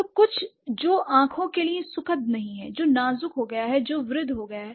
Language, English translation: Hindi, So, something which is not pleasant into eyes anymore, which has become fragile, which has become old, aged, right